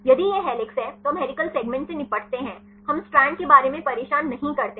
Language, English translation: Hindi, If it is helix then we deal with the helical segments we do not bother about the strand